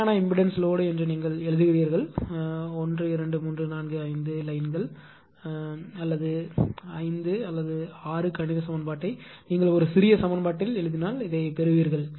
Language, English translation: Tamil, That why it is constant impedance load you write that I think it will take 1 2 3 4 5 lines 5 or 6 mathematical equation if you write it to a small equation you will get it this one